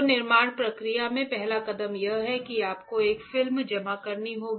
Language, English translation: Hindi, So, in the fabrication process, the first step is that you have to deposit a film right